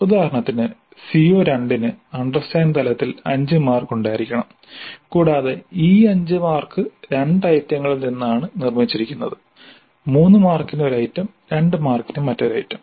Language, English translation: Malayalam, So for CO2 for example at understand level it is to have 5 marks and these 5 marks are made from 2 items, one item for 3 marks, another item for 2 marks